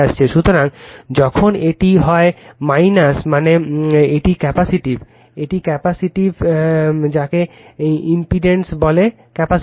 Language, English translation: Bengali, So, when it is minus means it is capacitive right, it is capacitive what you call impedance is capacitive